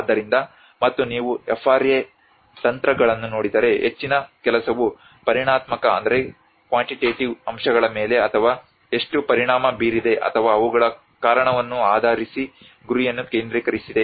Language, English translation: Kannada, So and if you look at FRA techniques much of the work has been mostly focused on the quantitative aspects or the target based on how much has been impacted or the cause of them